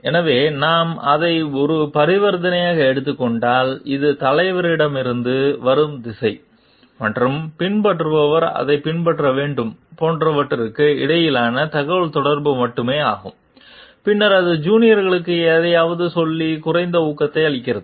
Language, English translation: Tamil, So, if we take it as a transaction which is only one being communication between like what the direction comes from the leader and the follower has to follow it, then the it gives less of encouragement to the juniors to tell something